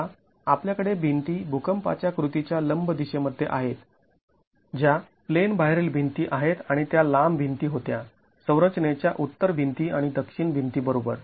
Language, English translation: Marathi, Now, we have the walls in the direction perpendicular to the seismic action which are the out of plain walls and these were the longer walls, the north the north wall and the south wall of the structure